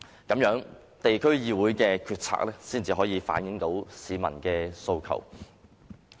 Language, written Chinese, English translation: Cantonese, 這樣，地區議會的決策才能反映市民訴求。, In this way local councils can make policies that carry peoples aspirations